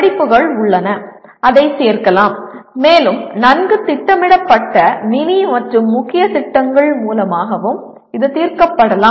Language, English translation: Tamil, There are courses available and it can be included and it can also be addressed through well orchestrated mini and main projects